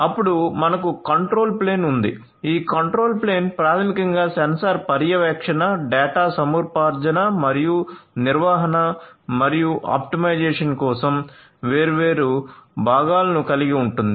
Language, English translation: Telugu, Then you have the control plane, this control plane basically has different components, components for sensor monitoring, data acquisition and management and optimization